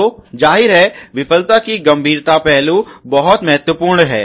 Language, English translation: Hindi, So, obviously, severity aspects of the failure is very important